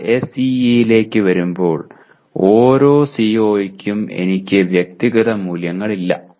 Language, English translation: Malayalam, But coming to SEE, I do not have individual values for each CO